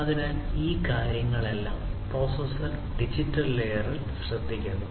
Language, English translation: Malayalam, So, all of these things are taken care of in the digital layer by the processor